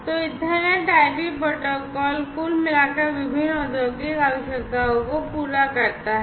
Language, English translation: Hindi, So, Ethernet IP protocol is overall catering to the different industrial requirements